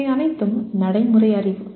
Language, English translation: Tamil, These are all procedural knowledge